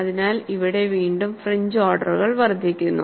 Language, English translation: Malayalam, So, here again the fringe orders increases